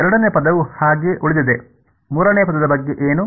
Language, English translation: Kannada, The second term remains as is; what about the third term